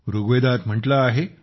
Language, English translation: Marathi, In Rigveda it is said